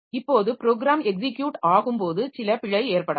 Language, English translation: Tamil, So, that way during program execution there may be some problem